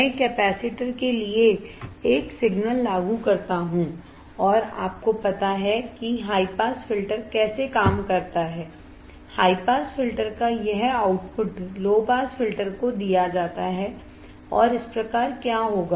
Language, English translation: Hindi, I apply a signal right to the capacitor and you know how the high pass filter works, this output of the high pass filter is fed to the low pass filter, and thus; what will happened